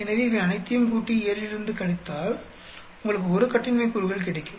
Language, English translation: Tamil, So, if you add up all these and subtract from 7, you will have 1 degree of freedom